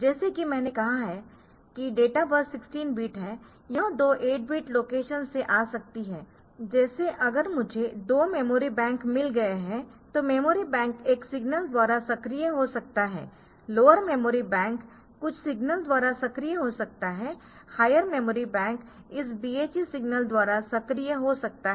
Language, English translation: Hindi, So, it may come from 2 8 bit locations like if I have got 2 memory banks then one memory bank may be activated by 1 signal the lower memory bank may be activated by some signal, the higher memory bank is activated by this BHE signal